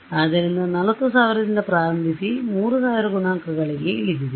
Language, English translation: Kannada, So, when I started from 40000, I am down to 3000 coefficients